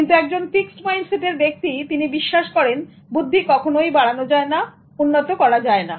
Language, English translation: Bengali, But the person with a fixed mindset will tend to believe that intelligence cannot be developed